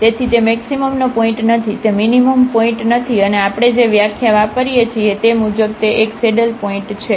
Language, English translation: Gujarati, So, it is not a point of maximum, it is not a point of minimum and it is a saddle point as per the definition we use